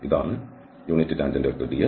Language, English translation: Malayalam, This is the unit tangent vector ds